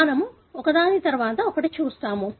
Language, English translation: Telugu, We will see one after the other